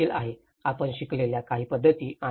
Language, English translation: Marathi, This has been also, some of the methods you have learnt